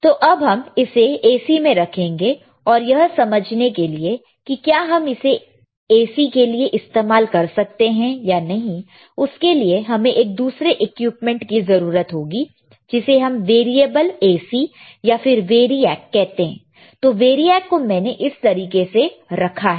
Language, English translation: Hindi, Now, let us let us keep it to AC, and to understand whether we can use it for AC or not we need to have another equipment called variable AC or variAC , which is V A R I A C